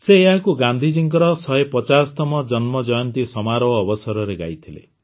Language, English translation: Odia, He had sung it during the 150th birth anniversary celebrations of Gandhiji